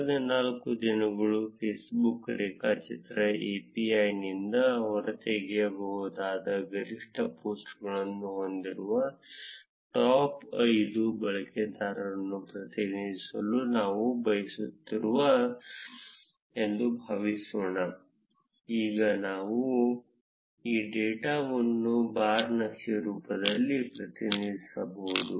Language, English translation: Kannada, Suppose, we would like to represent the top 5 users which had the maximum posts which we could extract from Facebook graph api in the last four days; we can represent this data in the form of a bar chart